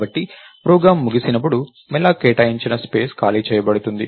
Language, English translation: Telugu, So, space allocated by malloc is freed when the program terminates